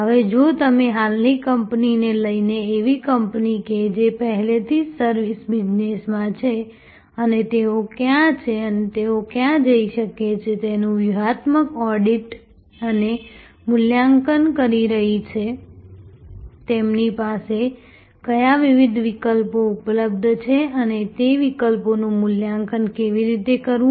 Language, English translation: Gujarati, Now, if we take an existing company, a company which is already in the service business and is doing a strategic audit and assessment of where they are and where they can go, which are the different options available to them and how to evaluate those options